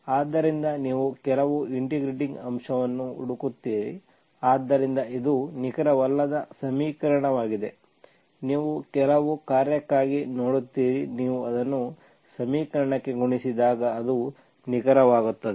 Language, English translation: Kannada, So you look for certain integrating factor, so it is non exact equation, you look for some function, you multiply it to the equation, then it becomes an exact